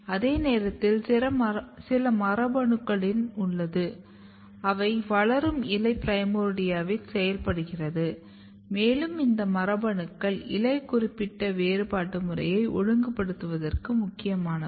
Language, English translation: Tamil, At the same time you have a set of genes, which are getting activated in the developing leaf primordia and these genes are important for regulating leaf specific differentiation program